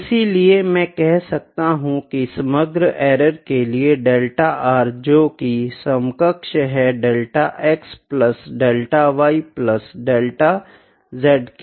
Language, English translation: Hindi, So, I can say delta r for the overall error, here would be equivalent to I am not putting equal to it is equivalent to delta x plus delta y plus delta z modulus